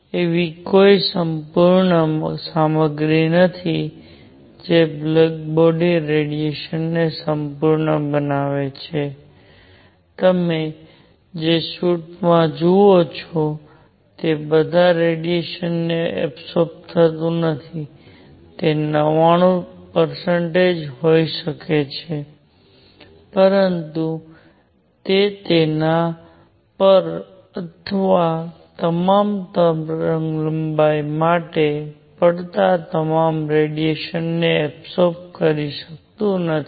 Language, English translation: Gujarati, There is no perfect material that forms a black body even the suit that you see does not absorb all the radiation may be 99 percent, but it does not absorb all the radiation falling on it or for all the wavelength